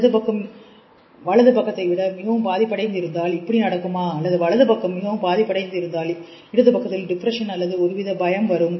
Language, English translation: Tamil, Is the left side suppressed than the right side comes up or is the right side is damaged then there is a depression on the left side or mania